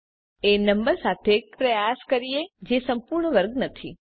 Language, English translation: Gujarati, Let us try with a number which is not a perfect square